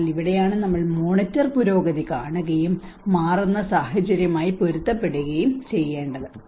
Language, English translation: Malayalam, So this is where we need to see the monitor progress and adjust to changing circumstances